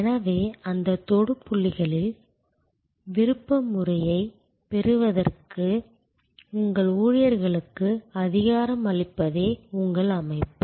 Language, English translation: Tamil, So, your system is to empower your employees to be able to have discretionary power at those touch points